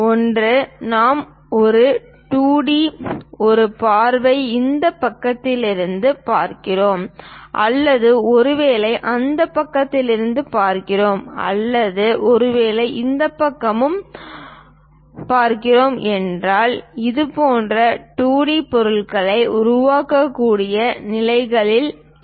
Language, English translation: Tamil, That one, if we are looking at as a view as a 2D one either looking from this side or perhaps looking from that side or perhaps looking from this side, we will be in a position to construct such kind of 2D object